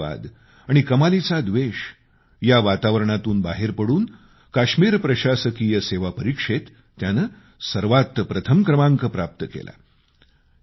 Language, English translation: Marathi, He actually extricated himself from the sting of terrorism and hatred and topped in the Kashmir Administrative Examination